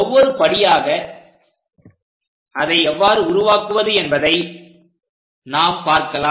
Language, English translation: Tamil, Let us do that step by step how to construct it